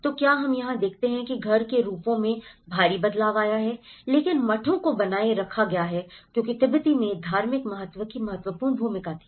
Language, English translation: Hindi, So, what we observe here is the house forms have changed drastically but monasteries has retained because the religious significance played an important role in the Tibetans